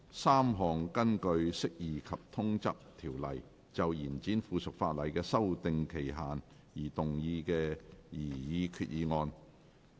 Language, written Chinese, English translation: Cantonese, 三項根據《釋義及通則條例》就延展附屬法例的修訂期限而動議的擬議決議案。, Three proposed resolutions under the Interpretation and General Clauses Ordinance in relation to the extension of the period for amending subsidiary legislation